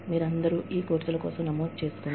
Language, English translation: Telugu, You all, register for these courses